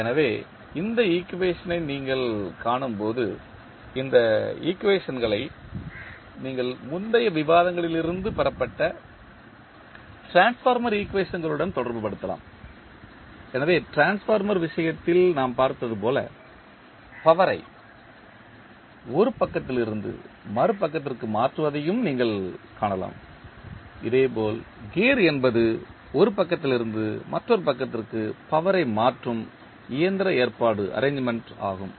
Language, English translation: Tamil, So, when you see this equation, you can correlate these equations with respect to the transformer equations, which we derived in earlier discussions so you can also see that as we saw in case of transformer, we transfer the power from one side to other side, similarly the gear is the mechanical arrangement which transfers power from one side to other side